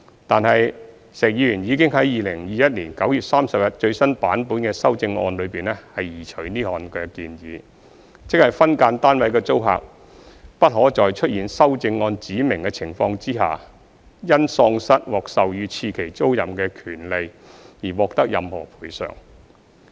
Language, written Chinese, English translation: Cantonese, 但是，石議員已在2021年9月30日最新版本的修正案中移除此項建議，即分間單位的租客不可在出現修正案指明的情況下，因喪失獲授予次期租賃的權利而獲得任何賠償。, However Mr SHEK has removed this proposal in the latest version of his amendments on 30 September 2021 which means that SDU tenants would not be entitled to any compensation for the loss of the right to be granted a second term tenancy in the circumstances specified in the amendments